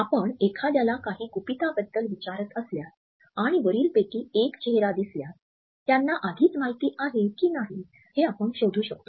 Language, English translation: Marathi, If you are asking someone about a secret and they show either one of these faces, you can find out if they already knew